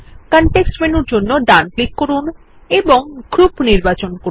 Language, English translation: Bengali, Right click for context menu and select Group